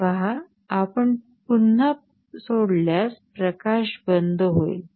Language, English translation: Marathi, You see if it is released again light will turn off